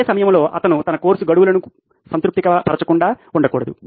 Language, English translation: Telugu, At the same time he should not miss out on his course deadlines being satisfied